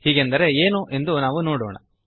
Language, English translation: Kannada, Let us see what this means